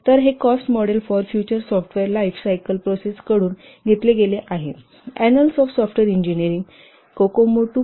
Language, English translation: Marathi, So this has been taken from the cost models for future software lifecycle processes, Kokomo 2, published in the Annals of Software Engineering 1995